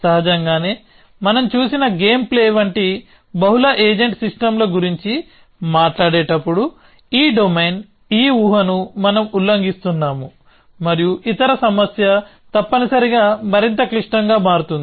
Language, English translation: Telugu, Obviously, when we talk about multi agent systems advisable systems like game playing that we saw, then this domain this assumption we are violating and the other problem becomes more complex essentially